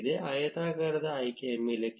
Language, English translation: Kannada, Click on the rectangular selection